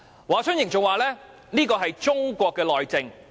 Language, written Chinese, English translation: Cantonese, "華春瑩更表示這是中國內政......, HUA Chunying further said that this is an internal affair of China